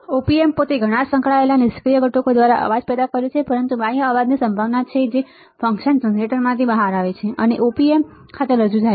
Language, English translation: Gujarati, Op amp itself many have noise generated by the associated passive components, but there is a possibility of a external noise that comes out of the function generator and is introduced to the op amp all right